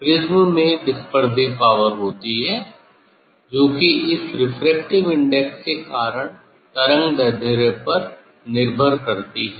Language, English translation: Hindi, Prism has dispersive power that is because of this refractive index depends on the wavelength